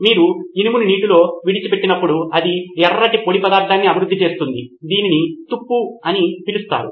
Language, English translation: Telugu, What you see in iron when you leave iron out, it develops a red powdery substance that is called rust